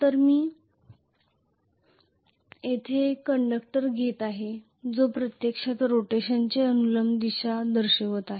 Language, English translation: Marathi, So let me take a conductor here which is actually showing a vertical direction of rotation